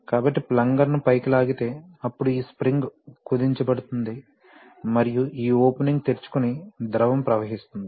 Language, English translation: Telugu, So when the, pulling the plunger up, then this spring is compressed and this opening is open and the fluid flows